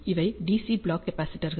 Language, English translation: Tamil, These are the DC block capacitors